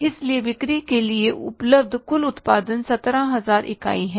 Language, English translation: Hindi, So, total production available for the sales is 17,000 units